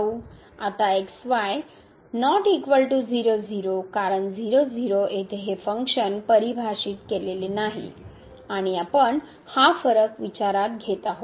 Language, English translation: Marathi, Now for not equal to because at this function is not defined and we consider this difference